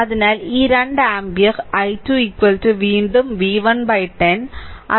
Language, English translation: Malayalam, So, these 2 ampere i 2 is equal to again v 1 by 10